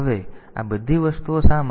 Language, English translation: Gujarati, Now, why all these things